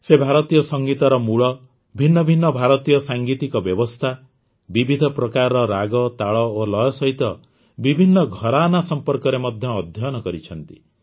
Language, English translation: Odia, He has studied about the origin of Indian music, different Indian musical systems, different types of ragas, talas and rasas as well as different gharanas